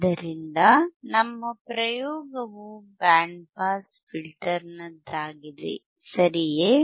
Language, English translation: Kannada, So, our experiment is on band pass filter, right